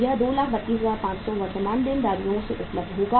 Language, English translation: Hindi, That is 232,500 will be available from the current liabilities